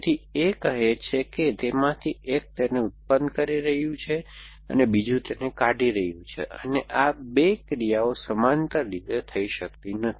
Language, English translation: Gujarati, So, the a, second clouds which say that one of them is producing it and other one is deleting it and these 2 actions cannot happen in parallels